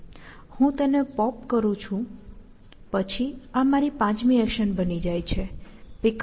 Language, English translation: Gujarati, So, I pop that, then this becomes my fifth action; pickup b